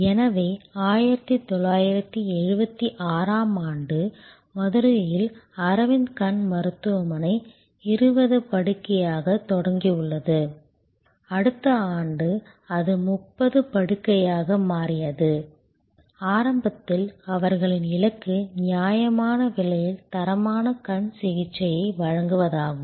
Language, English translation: Tamil, So, 1976 in Madurai, Aravind Eye Hospital started as at 20 bed, next year it went to 30 bed, they goal initially was providing quality eye care at reasonable cost